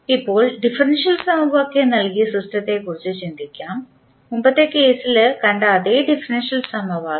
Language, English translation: Malayalam, Now, let us consider the system given by the differential equation same differential equation we are using which we saw in the previous case